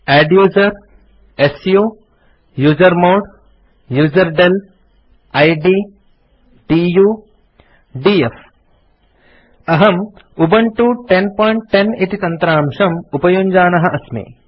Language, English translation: Sanskrit, adduser su usermod userdel id du df I am using Ubuntu 10.10 for this tutorial